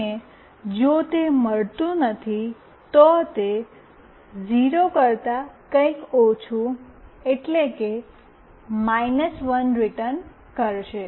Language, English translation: Gujarati, And if it does not find that, it will return something less than 0, that is, minus 1